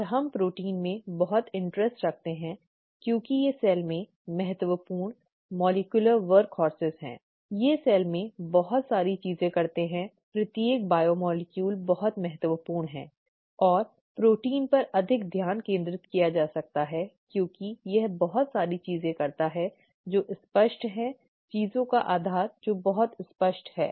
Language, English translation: Hindi, And we are so interested in proteins because they are important molecular workhorses in the cell, they do lot of things in the cell, each biomolecule is very important and there , there could be more of a focus on proteins because it does so many things that are very apparent, that the basis of things that are very apparent, okay